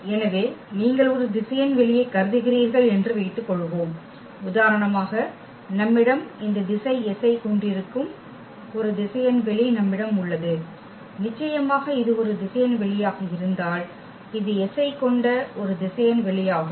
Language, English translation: Tamil, So, if you have a suppose you consider a vector space you we have a vector space for instance which contains this set S here , the definitely because if this is a vector space that say w is a vector space which contains S